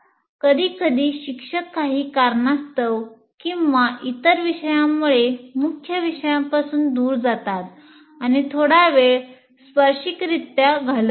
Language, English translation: Marathi, Sometimes the teachers have also have for some reason or the other drift away from the main topic and spend some time a bit tangentially